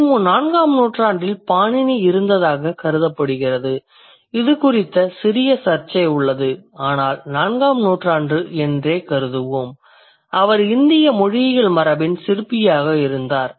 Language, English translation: Tamil, It's assumed that Panini was there in 4th century BC though that's a there's a little controversy around it but then let's consider it as it is and he was the chief architect of Indic linguistic tradition